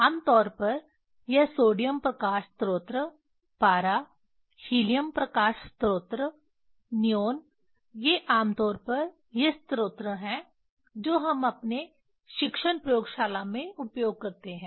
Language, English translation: Hindi, Generally this sodium light source, mercury, helium light source, neon these generally these are the source we use in our teaching laboratory